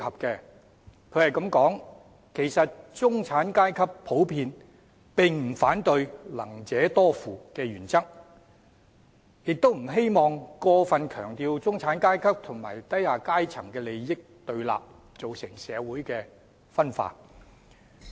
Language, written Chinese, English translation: Cantonese, 文中說到"其實中產階級普遍並不反對'能者多付'的原則，也不希望過份強調中產階級和低下階層的利益對立，造成社會分化。, In the article she said to the effect that actually the middle class in general does not oppose the principle that those who have the means should pay more; nor is it their wish to see undue emphasis placed on the conflicting interests between the middle class and the lower class and hence causing social divisions